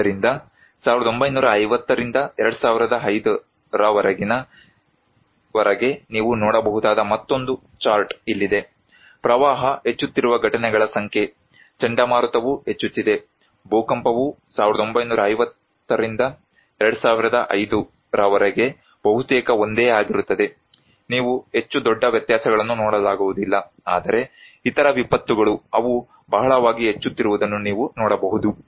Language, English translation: Kannada, So, also here is another chart you can see from 1950 to 2005, the number of events that flood is increasing, storm also are increasing, earthquake is almost the same as from 1950’s to 2005, you cannot see much huge differences but other disasters you can see they are increasing very prominently